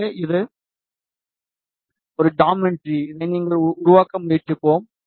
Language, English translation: Tamil, So, this is a geometry that we will try to make out